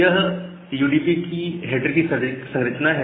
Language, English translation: Hindi, So, this is the structure of the UDP header